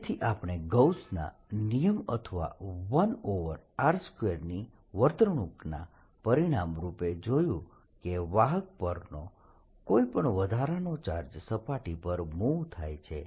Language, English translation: Gujarati, so what we have seen as a consequence of gauss's lawor as a one over r square behavior, the charge, any extra charge on a conductor move to the surface